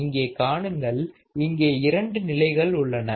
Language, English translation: Tamil, You see that there are two stages here;